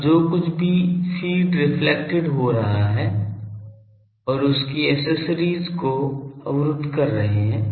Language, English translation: Hindi, Now whatever is being reflected the feed and its accessories are blocking that